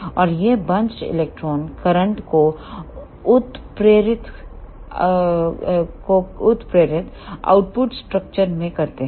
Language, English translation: Hindi, And these bunch electron induced current to the output structure